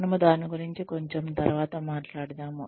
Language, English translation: Telugu, We will talk about that, a little later